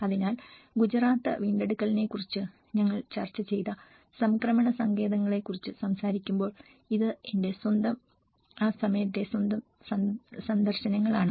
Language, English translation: Malayalam, So, when we talk about the transition shelters we did discussed about the Gujarat recovery, this is own, my own visits during that time